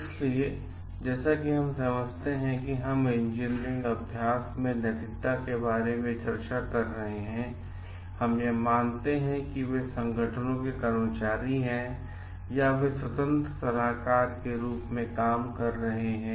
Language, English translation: Hindi, So, as we understand like we are discussing about ethics in engineering practice, we assume like they are employees of organizations or they are functioning as independent consultants